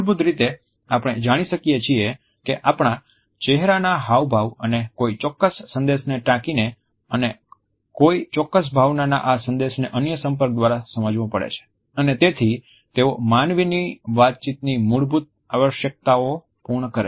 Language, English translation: Gujarati, Basically, we find that our facial expressions and quote a certain message and this message of a particular emotion has to be decoded by the other interact and so in a way they fulfill a basic need of human beings to communicate